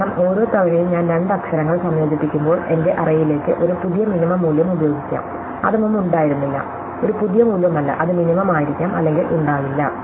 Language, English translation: Malayalam, Because, each time I combine two letters, I introduce a new letter into my array with a new minimum value which was not there before and not a new value, which may not there before it is may or may not be the minimum